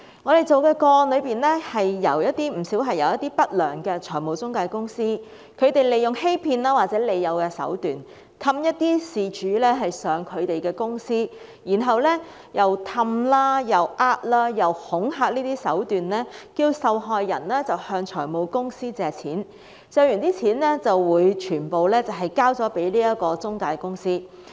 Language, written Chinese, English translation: Cantonese, 我們跟進的不少個案，是一些不良的財務中介公司利用欺騙或利誘的手段，哄騙事主前往他們的公司，再以哄騙、恐嚇的手段，要求受害人向財務公司借貸，借得的金額會全數交給中介公司。, In some of these cases followed up by us unscrupulous financial intermediaries lured victims to their office and tricked or coax them into borrowing money from finance companies and then handing over the full amount of the loan to the intermediaries